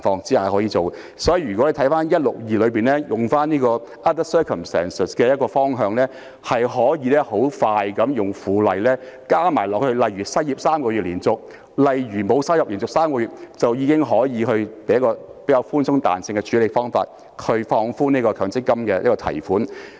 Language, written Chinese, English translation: Cantonese, 所以，如果回顧第162條中 other circumstances 的方向，迅速地利用附屬法例，加上"連續失業3個月或連續3個月沒有收入"，便可以較寬鬆和具彈性的處理方法放寬強積金的提款限制。, Therefore if we look back in the direction of the other circumstances under section 162 and make quick use of the subsidiary legislation by adding is unemployed or without income for three consecutive months the withdrawal restrictions on MPF can be eased in a more relaxed and flexible manner